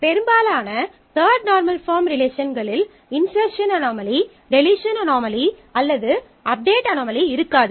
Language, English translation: Tamil, And most third number form relations are free of insert, delete or update anomalies